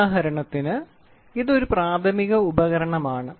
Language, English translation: Malayalam, For example this is a primary device